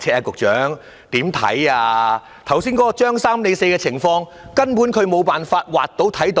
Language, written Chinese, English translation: Cantonese, 剛才"張三李四"的情況，他們根本無法看到。, They could never see the Tom Dick and Harry problem just said